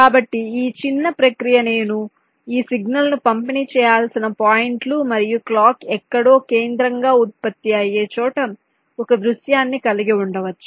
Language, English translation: Telugu, so we can have a scenario like where this small process are the points where i need to distribute this signal and may be the clock is generated somewhere centrally